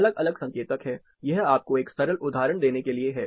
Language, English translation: Hindi, There are different indicators; this is just to give you a simple example